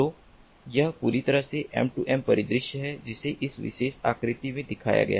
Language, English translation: Hindi, so this is completely m two m scenario that has been shown in this particular figure